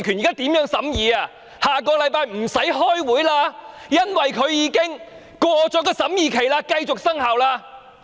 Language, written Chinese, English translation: Cantonese, 小組委員會下星期已不用再開會，因為已過了審議期，該規例繼續生效。, There will be no more Subcommittee meeting starting from next week because the scrutiny period will have expired by then and the Regulation shall continue to have effect